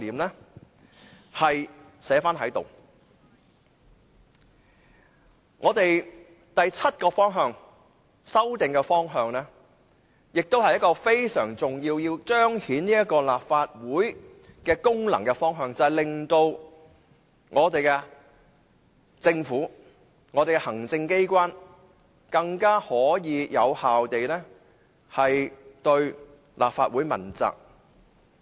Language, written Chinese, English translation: Cantonese, 我們的第七項修訂的方向非常重要，是要彰顯立法會功能，令政府和行政機關能夠更有效地對立法會問責。, The direction of our seventh group of amendments is highly important . It seeks to demonstrate the functions of the Legislative Council such that the Government and the executive authorities can be accountable to the Legislative Council in a more effective way